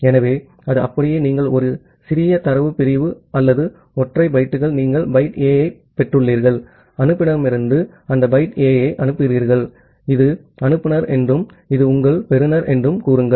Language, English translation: Tamil, So, it is just like that, you have received a small data segment or single bytes you have received byte A, you send that byte A from the sender say this is the sender and this is your receiver